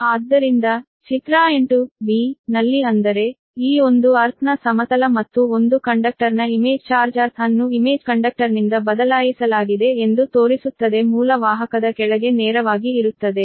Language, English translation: Kannada, figure eight b, that means this one earth plane and image charge of one conductor shows that the earth is replaced by image conductor lies directly below the original conductor, right